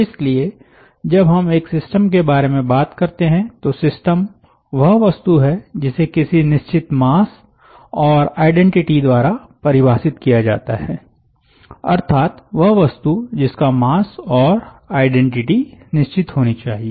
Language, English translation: Hindi, so when we talk about a system, by definitions system is something, a fixed mass and identity, so something which must have its mass fixed